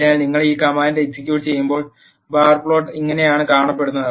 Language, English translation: Malayalam, So, when you execute these commands, this is how the bar plot looks